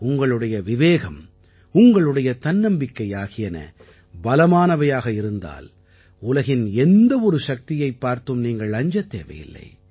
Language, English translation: Tamil, If your conscience and self confidence is unshakeable, you need not fear anything in the world